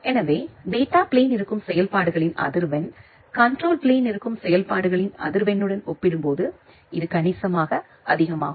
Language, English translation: Tamil, So, that is why the frequency of operations which is there in the data plane, it is significantly higher compared to the frequency of operations which is there in the control plane